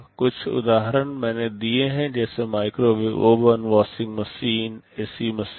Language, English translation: Hindi, Some examples I have given, like microwave oven, washing machine, ac machine